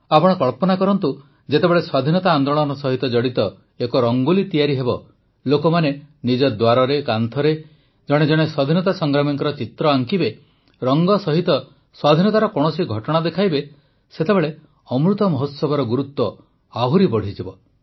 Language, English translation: Odia, Just imagine, when a Rangoli related to the freedom movement will be created, people will draw a picture of a hero of the freedom struggle at their door, on their wall and depict an event of our independence movement with colours, hues of the Amrit festival will also increase manifold